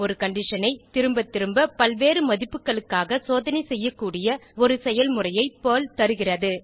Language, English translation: Tamil, Perl provides a mechanism by which we can check a condition repeatedly for various values